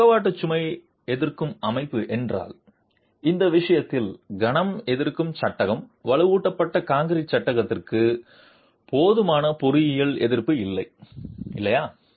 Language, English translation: Tamil, If the lateral load resisting system, in this case the moment resisting frame, reinforced concrete frame does not have adequate engineered resistance